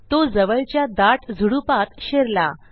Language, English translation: Marathi, He enters the nearby bushy area